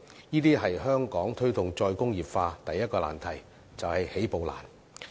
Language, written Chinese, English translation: Cantonese, 這是香港推動"再工業化"的第一個難題，也就是起步難。, This points to the first difficulty in the promotion of re - industrialization in Hong Kong and that is it is difficult to make a start